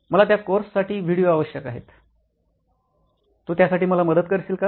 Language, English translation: Marathi, Hey, I need videos for that course, can you help me with that